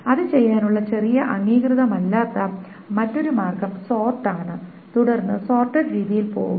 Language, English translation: Malayalam, The other little non standard way of doing it is sort it and then go over the sorted manner